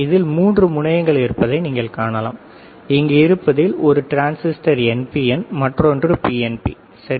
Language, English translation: Tamil, So, you can see there are three leads right, one transistor is NPN another one is PNP, right